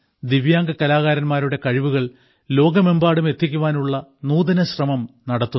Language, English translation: Malayalam, An innovative beginning has also been made to take the work of Divyang artists to the world